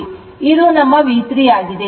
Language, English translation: Kannada, So, this is your, your V 3 right